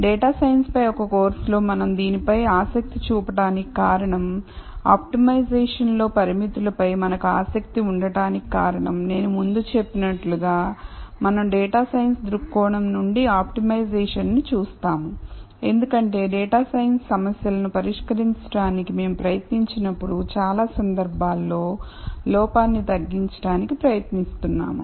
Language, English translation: Telugu, The reason why we should be interested in this in a course on data science; the reason why we are interested in constraints in optimization is as I mentioned before, we look at optimization from a data science viewpoint because we are trying to minimize error in many cases, when we try to solve data science problems